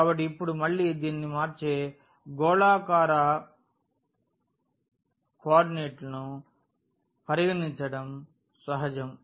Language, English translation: Telugu, So now, again this is natural to consider a spherical coordinate which will convert this